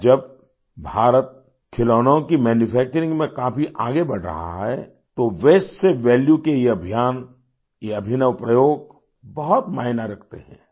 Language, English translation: Hindi, Today, while India is moving much forward in the manufacturing of toys, these campaigns from Waste to Value, these ingenious experiments mean a lot